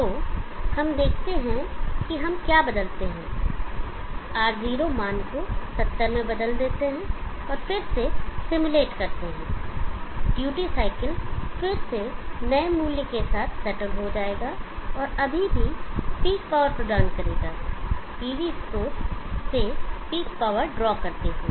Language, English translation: Hindi, So let us see if we change alter the R0 value to 70 and then re simulate the duty cycle will settle down with new value yet still giving peek power drawing, power from the PV source